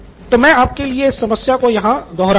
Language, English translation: Hindi, So if you remember I will reiterate the problem right here